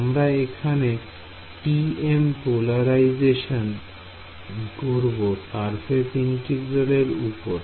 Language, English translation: Bengali, So, we were doing TM polarization in surface integral